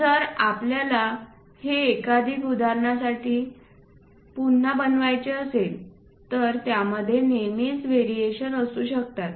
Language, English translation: Marathi, If you want to repeat it multiple objects you would like to create there always be variations within that